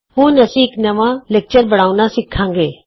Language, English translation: Punjabi, We shall now learn to create a new lecture